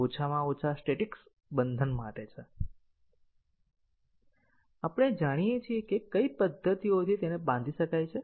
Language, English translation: Gujarati, For at least statistic binding, we know that, what are the methods to which it can be bound